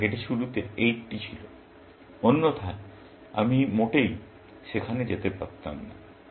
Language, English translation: Bengali, Let us say, this was 80, to start with; otherwise, I would not have gone there at all